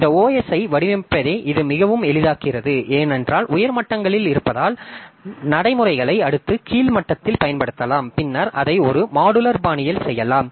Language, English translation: Tamil, So, that helps us in making this design this OS very easy because at higher and higher level so we can utilize the routines that we have the that we have at the next lower level and then we can do it in a modular fashion